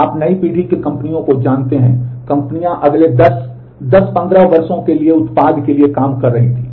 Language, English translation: Hindi, You know new generation companies, the companies were working for products for the next 10, 10, 15 years are in this space